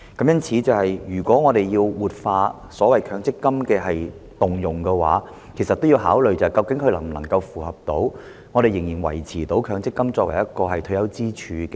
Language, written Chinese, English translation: Cantonese, 因此，如果我們要活化強積金權益的動用，便須考慮這做法能否維持強積金作為退休支柱。, Therefore if MPF is to be revitalized by allowing scheme members to withdraw their accrued benefits we must consider whether MPF will be able to remain as an important pillar of retirement protection subsequently